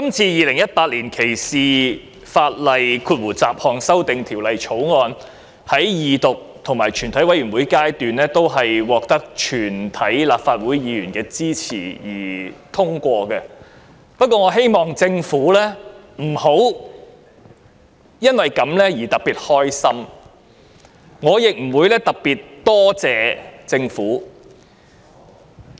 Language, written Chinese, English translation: Cantonese, 《2018年歧視法例條例草案》在二讀階段和全體委員會均獲全體議員一致通過，但我希望政府不會因此而特別高興，我亦不會特意感謝政府。, While the Discrimination Legislation Bill 2018 the Bill has been passed unanimously at the Second Reading stage and in the committee of the whole Council I hope that the Government will not get too happy about that and I will not express special thanks to the Government